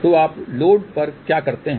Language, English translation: Hindi, So, what you do at the load